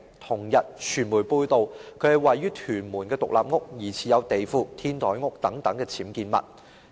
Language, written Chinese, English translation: Cantonese, 同日，傳媒報道其位於屯門的獨立屋疑似有地庫、天台屋等僭建物。, On the same day the media reported that her villa in Tuen Mun was found to have suspected UBWs including a basement and a rooftop structure